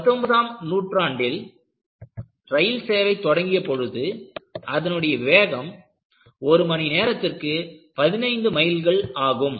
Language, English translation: Tamil, When, trains were introduced in the later part of nineteenth century, they were traveling at a speed of 15 miles per hour